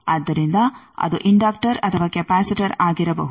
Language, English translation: Kannada, So, it can be inductor or a capacitor